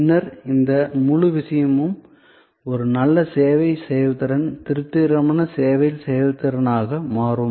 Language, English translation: Tamil, Then, this whole thing will become a good service performance, a satisfactory service performance